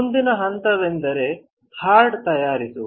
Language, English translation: Kannada, The next step is to do hard bake